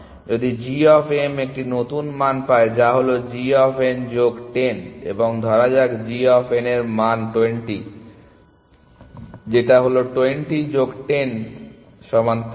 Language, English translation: Bengali, And if g of m gets a new value which is let us say g of n plus 10, and let us say g of n is 20 equal to 20 plus 10 equal to 30